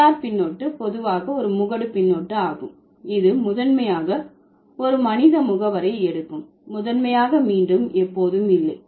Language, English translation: Tamil, Er suffix, generally that's an agentive suffix which primarily takes a human agent, primarily again, not always